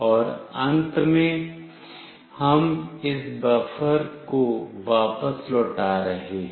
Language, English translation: Hindi, And finally, we are returning this buffer